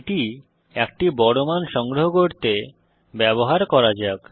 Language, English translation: Bengali, Let us use it to store a large value